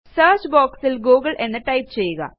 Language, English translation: Malayalam, In the search box type google